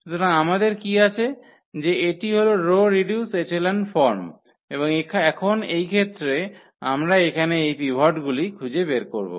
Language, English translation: Bengali, So, what we will have that this is the row reduced echelon form and in this case now, we will find out these pivots here